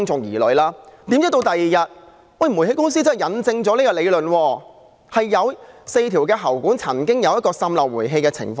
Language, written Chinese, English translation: Cantonese, 殊不知，第二天煤氣公司印證了這點，有4條喉管曾經出現煤氣滲漏的情況。, Sure enough Towngas confirmed this on the following day . There had been gas leakage from four pipes